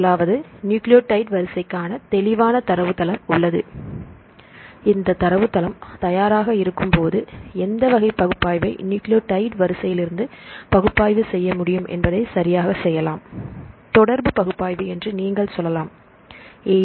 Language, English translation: Tamil, The first one is we have the clear database for nucleotide sequence and when this database is ready, then we can do the analysis right which type of analysis you can do from the nucleotide sequence